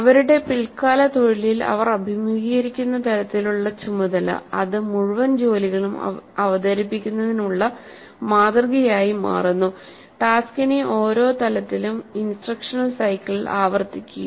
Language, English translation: Malayalam, So the kind of task that they encounter during their later profession, that becomes the model for presenting the whole tasks